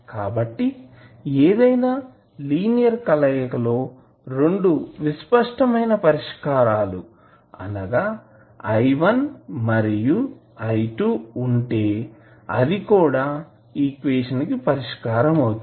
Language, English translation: Telugu, So, any linear combination of the 2 distinct solutions that is i1 and i2 is also a solution of this equation